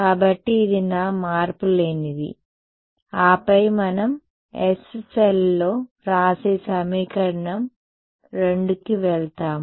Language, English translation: Telugu, So, this is my unchanged then we go to equation 2 again writing in the s cell